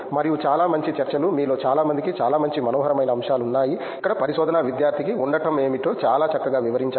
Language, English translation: Telugu, And very nice discussions, so many of you had so many nice lovely points to make on you know what it is to be a research student here